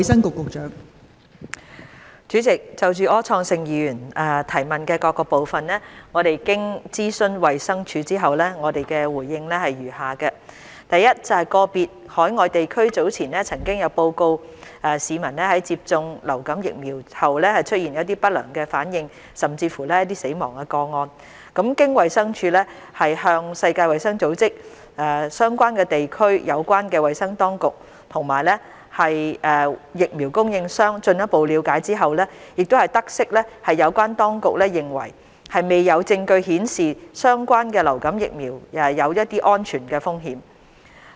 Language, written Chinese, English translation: Cantonese, 代理主席，就柯創盛議員質詢的各部分，經諮詢衞生署後，我們的答覆如下：一個別海外地區早前曾有報告市民在接種流感疫苗後出現不良反應甚或死亡個案。經衞生署向世界衞生組織、相關地區的有關衞生當局，以及疫苗供應商進一步了解後，得悉有關當局認為未有證據顯示相關流感疫苗有安全風險。, Deputy President in consultation with the Department of Health DH consolidated reply to the various parts of the question raised by Mr Wilson OR is as follows 1 In relation to the earlier reports from certain overseas places of adverse reactions and deaths following influenza vaccination DH has liaised with the World Health Organization WHO the health authorities concerned at relevant places and the vaccine supplier and noted that relevant health authorities considered that there was no evidence on safety concerns of relevant influenza vaccines